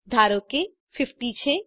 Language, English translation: Gujarati, Let say 50